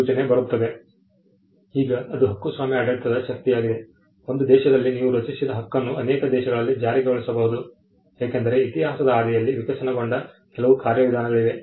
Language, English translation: Kannada, Now, that is the power of the copyright regime you can have a right created in one country and enforced and protected in multiple countries because of certain mechanisms that evolved in the course of history